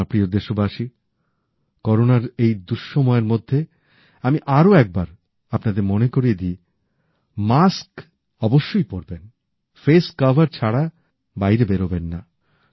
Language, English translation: Bengali, My dear countrymen, in this Corona timeperiod, I would once again remind you Always wear a mask and do not venture out without a face shield